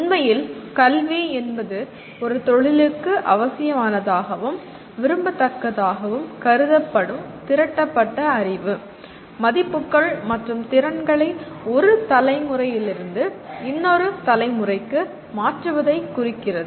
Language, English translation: Tamil, Wherein in education really refers to transfer of accumulated knowledge, values and skills considered necessary and desirable for a profession from one generation to another